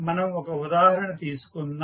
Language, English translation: Telugu, Let us, take one example